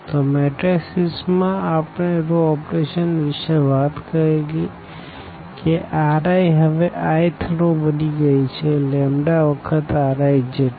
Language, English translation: Gujarati, So, in terms of the matrices we talked about this row operation that R i now the i th row has become like lambda times R i